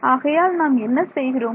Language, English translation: Tamil, So, we are taking the